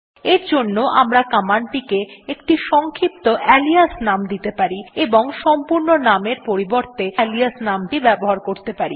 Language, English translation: Bengali, In this case we can give it a short alias name and use the alias name instead ,to invoke it